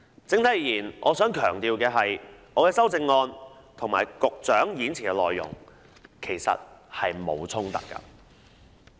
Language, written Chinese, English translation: Cantonese, 整體而言，我想強調，我的修訂議案和局長演辭的內容其實並無衝突。, All in all I wish to emphasize that there is actually no conflict between my amending motions and the Secretarys speech